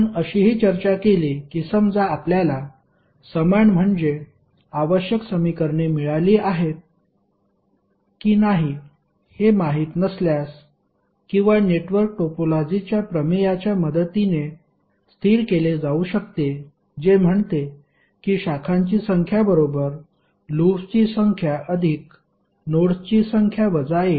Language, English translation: Marathi, We also discussed that suppose if we do not know whether we have got equal means the required number of equations or not that can be stabilized with the help of theorem of network topology which says that number of branches equal to number of loops plus number of nodes minus 1